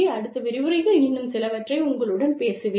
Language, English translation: Tamil, And, i will talk to you, some more, in the following lecture